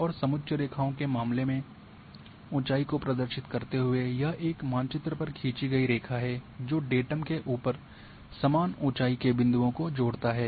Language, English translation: Hindi, And in case of contour lines representing the elevation it is a line drawn on a map that connects points of equal elevation above the datum that we know